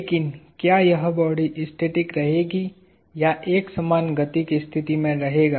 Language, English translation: Hindi, But, would this body remain at rest or in a state of uniform motion